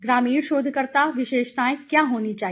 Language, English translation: Hindi, What should be the rural researcher characteristics